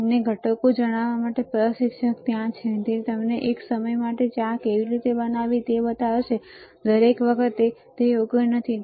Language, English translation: Gujarati, Instructor is there to tell you the ingredients, he will show you how to make tea for one time, not every time right